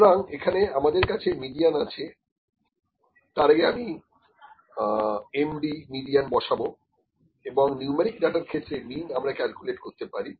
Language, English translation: Bengali, So, we can have median, I will put median here, before median I will put Md median and mean can be calculated only in the numeric data